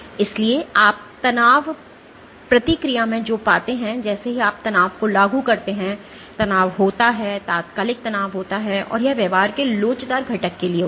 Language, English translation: Hindi, So, what you find in the strain response is as soon as you impose the stress, there is the strain, there is an instantaneous strain, and this accounts for the elastic component of the behavior